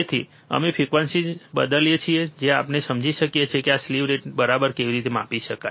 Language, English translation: Gujarati, So, we change the frequency so that we can understand how this slew rate can be measure ok